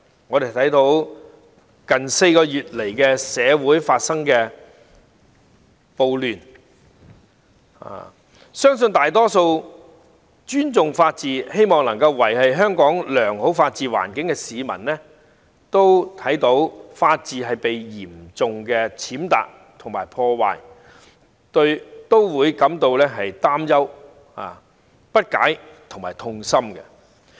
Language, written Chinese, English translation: Cantonese, 眼見最近4個多月來的社會暴亂，相信大多數尊重法治、希望維持良好的法治環境的香港市民，看到法治被嚴重踐踏和破壞都會感到擔憂、不解和痛心。, In view of the social riots in the past four months or so I trust that the majority of Hong Kong people who respect the rule of law and wish to maintain good rule of law would feel worried puzzled and saddened when the rule of law was seriously trampled and disrupted